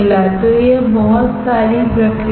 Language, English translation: Hindi, So, it is a lot of process